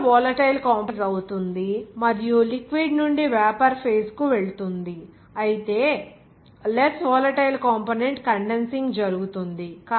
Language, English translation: Telugu, The more volatile component vaporizes and passes from the liquid to the vapor phase whereas less volatile component will be condensing